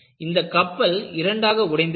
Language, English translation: Tamil, This ship broke into two